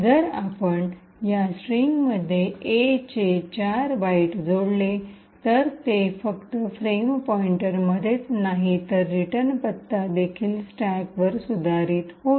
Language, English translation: Marathi, Now if we add 4 more bytes of A to this particular string, it would be not just the frame pointer but also the return address which gets modified on the stack